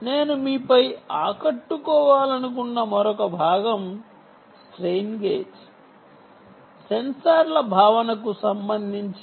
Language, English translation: Telugu, the other part which i wanted to impress upon you is, with respect to the ah sense, the strain gage sensors themselves